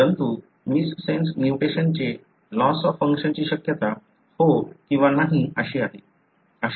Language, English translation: Marathi, But, missense mutation may or may not result in loss of function